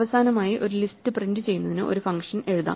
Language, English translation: Malayalam, Finally let us write a function to print out a list